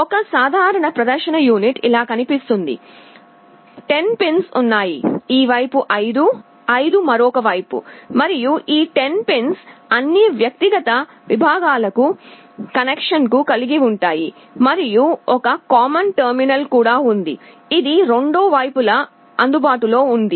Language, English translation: Telugu, A typical display unit looks like this; there are 10 pins, 5 on this side, 5 on the other side, and these 10 pins have connections to all the individual segments and also there is a common terminal, which is available on both the sides